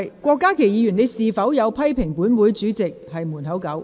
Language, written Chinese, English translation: Cantonese, 郭家麒議員，你有否批評本會主席是"門口狗"？, Dr KWOK Ka - ki did you criticize the President of this Council as a dog at the door?